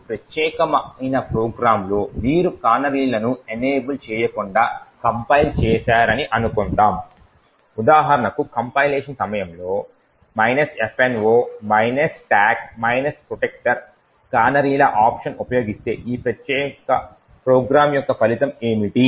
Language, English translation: Telugu, That is in this very specific program suppose you have compiled it without canaries being enabled that is by example using the minus f no canaries option during compilation, what would be the result of this particular program